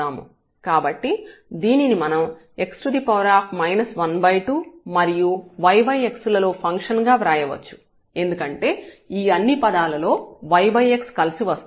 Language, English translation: Telugu, So, this we can write down as x power minus half and some function of y over x because in all these terms y over x comes together